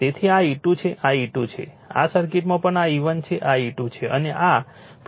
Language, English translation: Gujarati, So, this is your this is your E 2 this is your E 2, right in this circuit also this is my E 1 this is your E 2 and this is plus minus, right